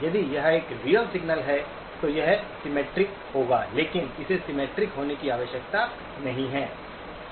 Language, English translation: Hindi, If it is a real signal, it will be symmetric but it does not need to be symmetric